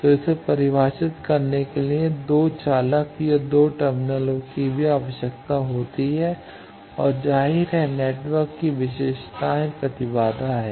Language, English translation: Hindi, So, it also requires 2 conductors or 2 terminals to get it defined and obviously, the characteristics of the network is the impedance